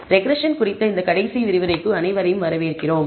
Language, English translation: Tamil, Welcome everybody to this last lecture on regression